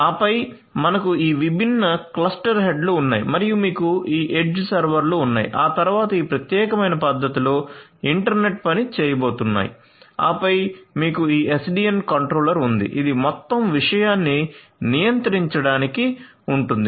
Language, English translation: Telugu, And then you have these different cluster heads and you have these edge servers there after which are going to be internet work in this particular manner and then you have this SDN controller which is sitting on top in order to control the entire thing